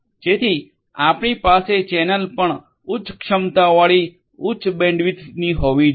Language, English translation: Gujarati, So, you need the channel also to be of a high capacity high bandwidth